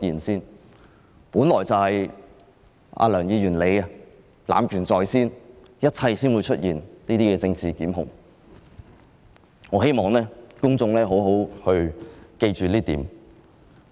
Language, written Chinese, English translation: Cantonese, 事情本來便是梁議員濫權在先，才會出現這些政治檢控，我希望公眾好好記住這一點。, Mr LEUNG abused his power leading to political prosecutions . I hope the public will bear this in mind